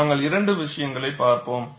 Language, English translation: Tamil, These are the two issues we have looked at